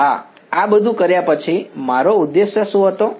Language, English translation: Gujarati, Yeah, after having done all of this what was my objective